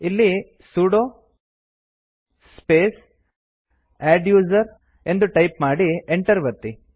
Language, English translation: Kannada, Here type the command sudo space adduser and press Enter